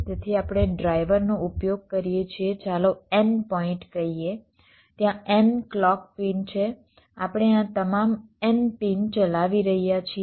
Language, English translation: Gujarati, so, going back, so we use a drive, let us say n points, there are n clock pins